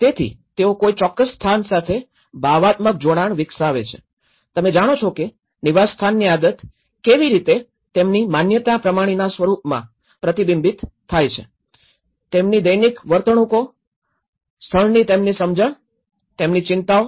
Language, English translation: Gujarati, So, they develop certain emotional attachment to a place, they develop a sense of belonging to it so where, you know, the habit in the habitat how it is reflected in the form of their belief systems, how their daily behaviours, their understanding of the place, their eligible concerns